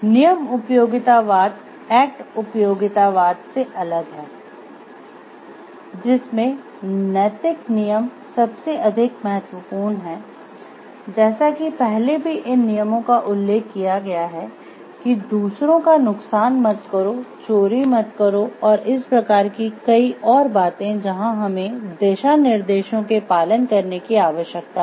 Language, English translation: Hindi, Rule utilitarianism differs from act utilitarianism in holding that moral rules are most important, as mentioned previously these rules include do not harm others do not steal and these type of things where we talks of we talk of guidelines that people need to follow